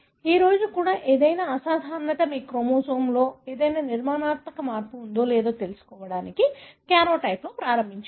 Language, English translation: Telugu, Any abnormality even today you start with a karyotype to see if there is any structural change in the chromosome